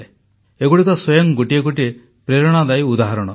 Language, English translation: Odia, These are inspirational examples in themselves